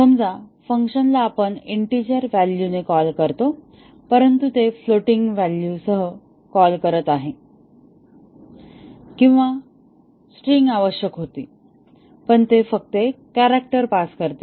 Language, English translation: Marathi, Suppose to call the function with an integer value, but it is calling with a floating point value or a string was required and it just passes a character and so on